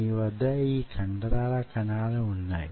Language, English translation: Telugu, right, you have these muscle cells